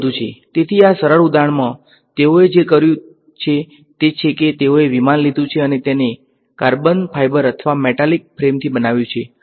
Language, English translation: Gujarati, So, in this simple example what they have done is they have taken a aircraft and either made it out of carbon fiber or a metallic frame